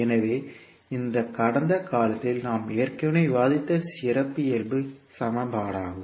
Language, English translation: Tamil, So this would be the characteristic equation which we have already discussed in the past